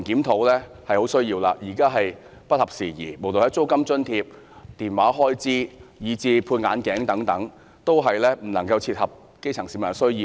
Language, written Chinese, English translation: Cantonese, 現有安排已不合時宜，租金津貼、電話開支，以至配眼鏡的開支等，一切均未能切合基層市民的需要。, The arrangements for rent allowance phone charges and expenses on glasses fail to cater for the needs of the grass roots